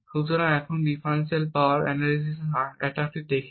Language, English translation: Bengali, So, now let us look at the differential power analysis attack